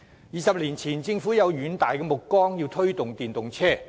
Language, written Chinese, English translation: Cantonese, 二十年前，政府有遠大目光，表示要推動電動車。, The Government displayed great vision 20 years ago and decided to promote the use of EVs